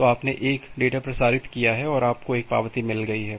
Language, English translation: Hindi, So, you have transmitted a data and you have got an acknowledgement